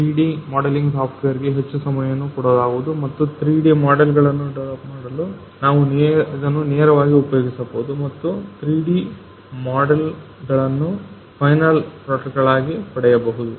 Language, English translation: Kannada, So, instead of giving more time to 3D modelling software and developing the 3D models, we can directly use this and obtain the 3D models as a final product